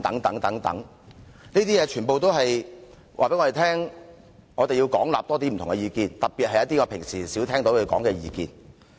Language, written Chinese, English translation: Cantonese, 這些全部均告訴我們，我們要廣納更多不同意見，特別是平常較少聽到的意見。, The mentioning of all these tells us that we must seek divergent views extensively especially opinions that are rarely heard of